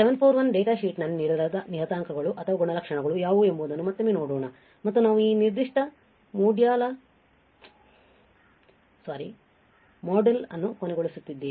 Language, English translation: Kannada, Let us quickly see once again what are the day, what is what are the parameters or the characteristics given in the data sheet of LM741 and we will end this particular module all right